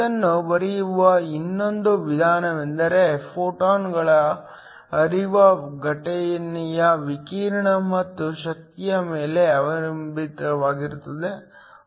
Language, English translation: Kannada, Another way of writing this is that it is Iphe and the flux of the photons is depends upon the power of the incident radiation and the energy